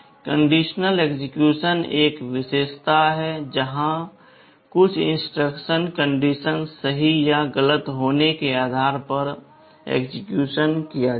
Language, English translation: Hindi, Conditional execution is a feature where some instruction will be executed depending on whether some condition is true or false